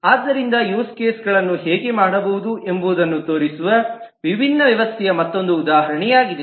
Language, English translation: Kannada, So this is just another example of a different system showing how use cases can be done